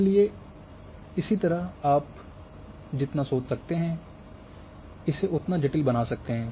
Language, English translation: Hindi, Likewise you can create as complicated as you can think